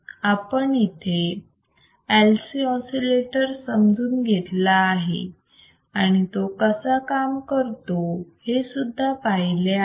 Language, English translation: Marathi, Now we have seen LC oscillator and we understood that how LC oscillator works,